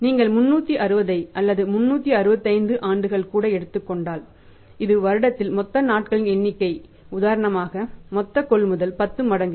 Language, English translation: Tamil, If you even take the 360 so or even 365 years total number of days in a year and for example the total purchase a 10 times it means that your payment is there period is that is 36